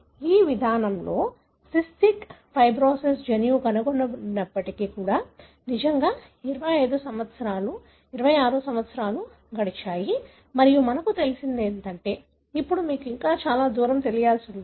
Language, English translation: Telugu, So, it has been really 25 years, 26 years since the discovery of the cystic fibrosis gene by this approach and what you see is that, you know, now still there is a long way to go